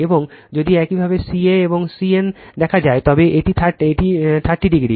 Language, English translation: Bengali, And if you look ca and cn, it is 30 degree right